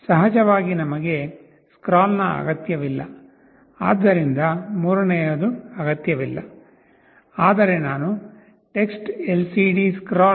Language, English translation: Kannada, Of course, we do not need scroll, so the third one is not required, but I have also used TextLCDScroll